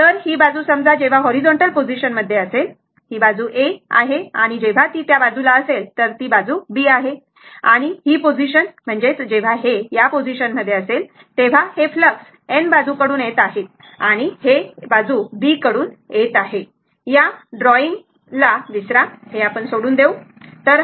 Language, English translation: Marathi, So, this side suppose when the horizontal position, this side is A and when it is this side it is B say right and this position, when it is at this position, this flux are coming this is from N side and this is from S side forget about this drawing this we will give it up, right